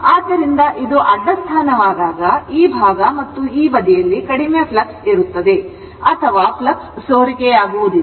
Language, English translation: Kannada, So, when it is a horizontal position, this side and this side, there will be low flux or it will not leak the flux